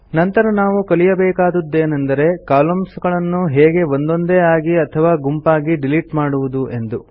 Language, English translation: Kannada, Next we will learn about how to delete Columns individually and in groups